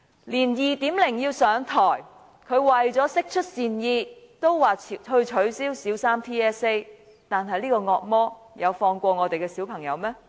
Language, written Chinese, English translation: Cantonese, 就連 "2.0" 也因為要上台，為了釋出善意也說要取消小三 TSA， 但這個惡魔有放過我們的小朋友嗎？, Even 2.0 who wishes to express her goodwill has joined the chorus by saying the Primary Three TSA has to be abolished but has the devil spared our children?